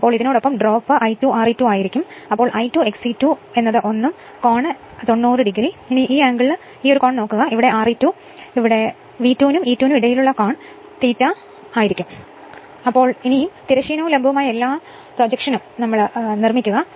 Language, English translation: Malayalam, So, along this at it will be drop will be I 2 R e 2 and then, I 2 X e 2 will be this 1 right and this angle is 90 degree look at that this angle is 90 degree and this is your E 2 this is your E 2 and angle between V 2 and E 2 is delta here it is delta right